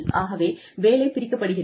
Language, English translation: Tamil, Divides up the work